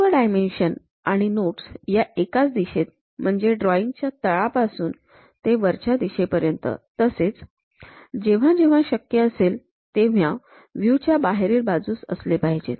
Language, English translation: Marathi, All dimensions and notes should be unidirectional, reading from the bottom of the drawing upward and should be located outside of the view whenever possible